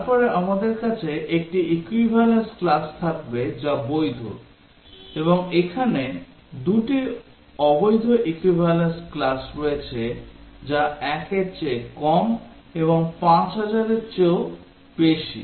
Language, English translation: Bengali, Then we will have 1 equivalence class which is valid, and there are two invalid set of equivalence class which is less than 1 and more than 5000